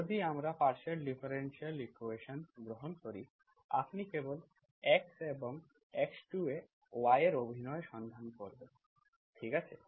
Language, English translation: Bengali, If we take the partial differential equation, you simply look for y acting on x1 and x2, okay